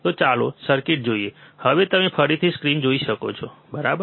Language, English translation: Gujarati, So, let us see the circuit, now you can see the screen again, right